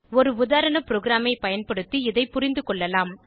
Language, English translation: Tamil, Let us understand this using a sample program